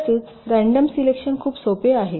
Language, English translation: Marathi, well, random selection is very sample